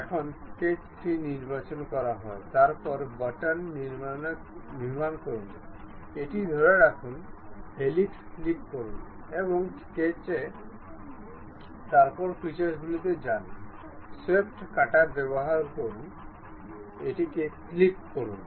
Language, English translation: Bengali, Now, sketch 3 is selected, then control button, hold it, click helix, and also sketch, then go to features, use swept cut, click ok